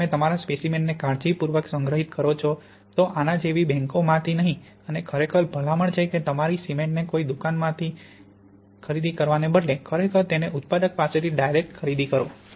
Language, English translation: Gujarati, If you store your sample carefully, so not in banks like this and really the recommendation is do not buy your cement in a shop, really get it direct from the manufacturer